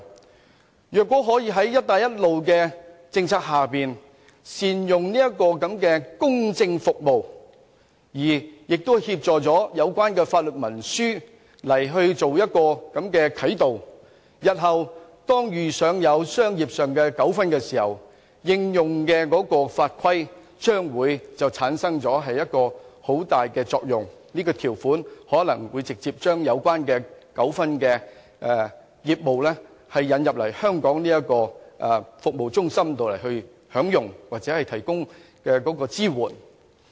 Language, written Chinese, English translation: Cantonese, 這些國家如果可以在"一帶一路"政策下善用這項公證服務，協助它們制訂有關法律文書以作啟導，日後遇上商業糾紛時，這些法律文書所應用的法規便會產生很大作用，使涉及糾紛的業務得以帶來香港這個國際法律及爭議解決服務中心處理或提供支援。, If these countries can make use of our attesting services to help them attest their legal documents under the Belt and Road Initiative from the start in the event of future legal disputes they will seek assistance from the International Legal and Dispute Resolution Services Centre in Hong Kong to resolve their disputed business